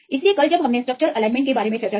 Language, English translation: Hindi, So, yesterday we discussed about the alignment of structures